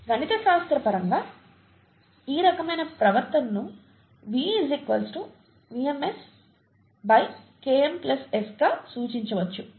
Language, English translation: Telugu, Mathematically, this kind of behaviour can be represented as V equals to some VmS by Km plus S